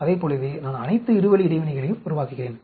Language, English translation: Tamil, Like that I build all the two way interactions